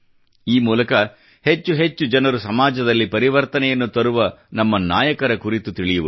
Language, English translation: Kannada, I do believe that by doing so more and more people will get to know about our heroes who brought a change in society